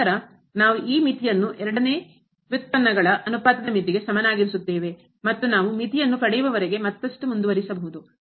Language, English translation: Kannada, And, then we will get this limit is equal to the limit of the ratio of the second derivatives and so on we can continue further till we get the limit